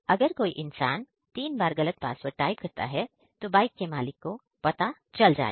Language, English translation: Hindi, If someone will give type wrong password for three times, then also it will send a message to the owner